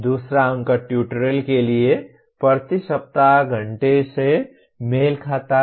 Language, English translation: Hindi, Second digit corresponds to the hours per week for tutorial